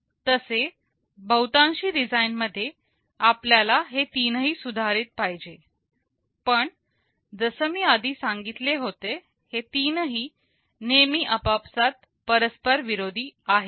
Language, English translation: Marathi, Well, in most designs, we want to improve on all these three, but as I had said these three are often mutually conflicting